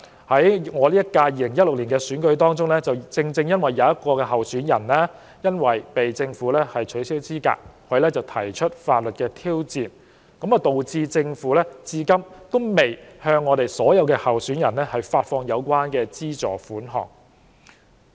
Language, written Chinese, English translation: Cantonese, 可是，由於在2016年選舉中，一位候選人因被政府取消資格而提出法律挑戰，導致政府至今仍未向所有候選人發放相關資助款項。, However since one candidate in the 2016 election was disqualified by the Government and has filed a legal challenge against the decision the Government has still yet to disburse the relevant financial assistance to all candidates